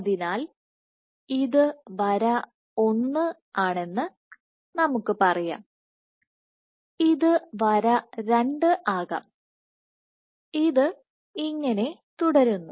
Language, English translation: Malayalam, So, let us say this is line 1, so this can be line 2 so on and so forth